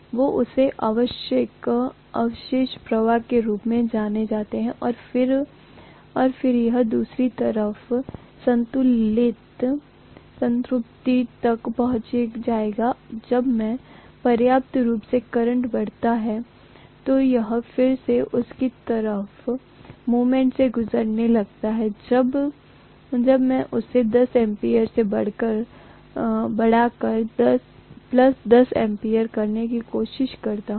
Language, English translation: Hindi, So it is known as remnant flux and then it will reach saturation on the other side, when I sufficiently increase the current then it is again going to go through the same kind of movement when I try to increase it from minus 10 ampere to plus 10 ampere